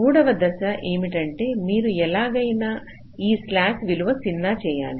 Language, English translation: Telugu, so the third step says: so you have to make this slack value zero somehow